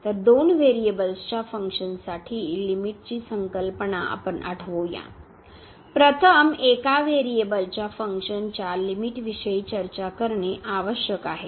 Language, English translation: Marathi, So, we recall now before we introduce the limit the concept of the limit for the functions of two variables, it is important to first discuss the limit of a function of one variable